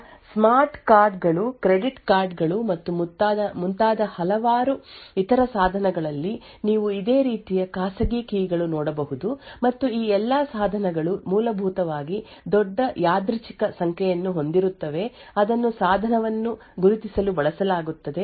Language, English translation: Kannada, So, a similar type of private keys that you would see also, in various other devices like smart cards, credit cards and so on and all of these devices essentially have a large random number which is stored, which is then used to identify the device